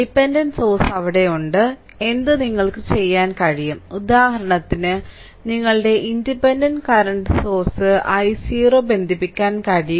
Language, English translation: Malayalam, So, dependent source is there so, what you can do is for example, you can connect a your what you call a current source say your independent current source i 0